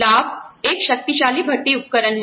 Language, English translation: Hindi, Benefits are a powerful recruiting tool